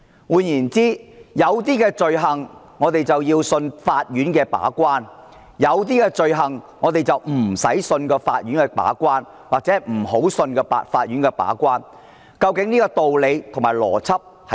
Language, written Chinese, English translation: Cantonese, 換言之，有一些罪類我們要相信法院的把關，有些罪類我們不需要相信法院把關，或者不要相信法院的把關，究竟道理和邏輯何在？, In other words with some items of offences we have to trust the courts of Hong Kong as gatekeepers; with other items we do not have to or should not trust the courts as such . What are the reasons for that and what is the logic of it?